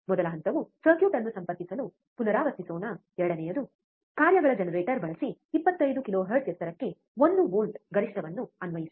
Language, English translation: Kannada, First step let us repeat connect the circuit second apply one volt peak to peak at 25 kilohertz using functions generator